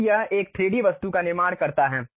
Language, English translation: Hindi, Then it construct 3D object